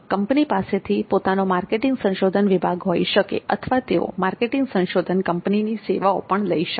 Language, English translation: Gujarati, And organization can have their own marketing research department or they can take the services of marketing research firms